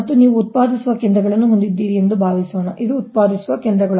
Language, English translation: Kannada, and suppose you have a generating stations, this is generating stations